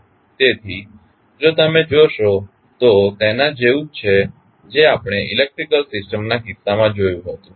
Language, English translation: Gujarati, So, if you see it is similar to what we saw in case of electrical systems